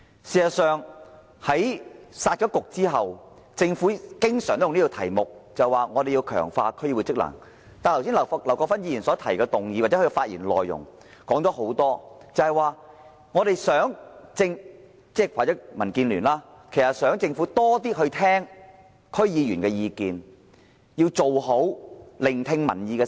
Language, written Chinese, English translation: Cantonese, 事實上，在"殺局"後，政府也經常表示要強化區議會職能，但劉國勳議員剛才提出的議案及其發言內容，甚或是民建聯，在在表示他們希望政府多聽取區議員的意見，要做好聆聽民意的工作。, In fact the Government often mentions strengthening the functions of DCs since the scrapping of the two Municipal Councils . Yet according to the motion proposed by Mr LAU Kwok - fan and the remarks he made as well as the views of the Democratic Alliance for the Betterment and Progress of Hong Kong they simply hope the Government can listen more to the opinions of DC members and do a good job of listening to public opinions